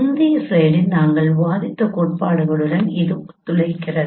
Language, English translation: Tamil, It corroborates with the theory what we discussed in the previous slide